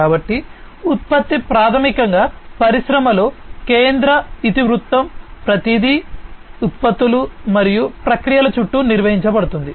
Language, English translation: Telugu, So, the product is basically the central theme in the industry, everything is governed around products and processes